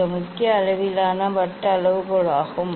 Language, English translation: Tamil, this is the main scale circular scale